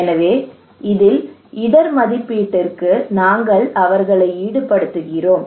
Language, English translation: Tamil, So just for the risk assessment we involve them